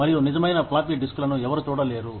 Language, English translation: Telugu, And, nobody ever gets to see, the real floppy disks, anymore